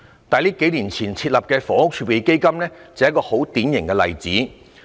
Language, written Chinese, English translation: Cantonese, 數年前設立的房屋儲備金就是一個典型例子。, The Housing Reserve established a few years ago is a typical example